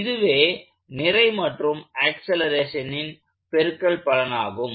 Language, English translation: Tamil, This is the mass of the body times acceleration